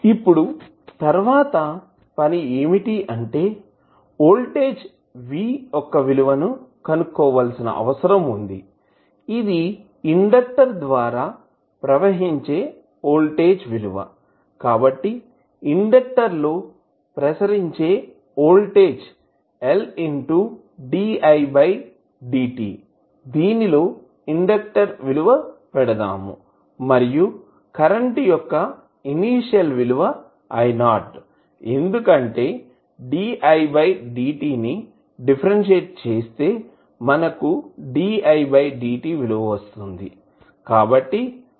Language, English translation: Telugu, Next task is we need to find out the value of V which is nothing but the voltage across the inductor, so voltage across the inductor is, L di by dt we can put the value of inductor L then, the initial value of current I naught because di by dt is when you differentiate It you will get the value of di by dt so, this will become, 0